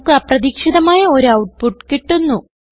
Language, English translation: Malayalam, We get an unexpected output